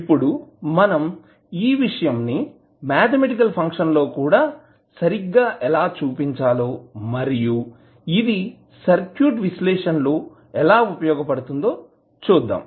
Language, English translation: Telugu, Then we will see how we can equivalently represent that event also into the mathematical function so that we can use them in our circuit analysis